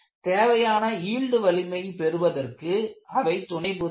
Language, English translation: Tamil, They help to achieve the required yield strength